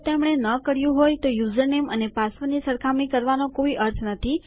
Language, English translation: Gujarati, If they havent, there is no point in comparing the username to the password